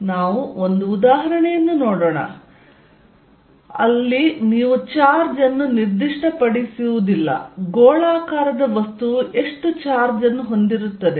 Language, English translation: Kannada, Let us look at an example, so where you do not specify the charge, how much charge the spherical body carries